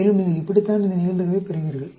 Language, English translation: Tamil, And, this is how you get this probability